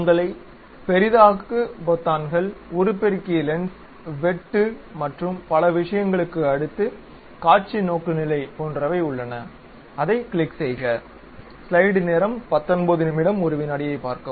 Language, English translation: Tamil, Next to your Zoom buttons, magnifying lens, cut and other thing there is something like View Orientation, click that